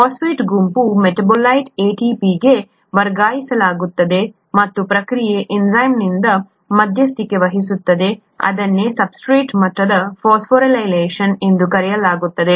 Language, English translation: Kannada, The phosphate group is transferred from a metabolite to ADP and is, the process is mediated by an enzyme, that’s what is called substrate level phosphorylation